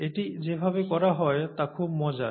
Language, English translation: Bengali, It is, very interesting, the way it is done